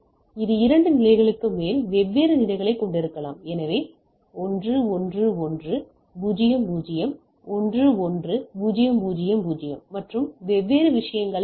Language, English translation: Tamil, It can have more than more than two levels right different levels, so I can have 1 1 1 0 0 1 1 0 0 0 and type of things right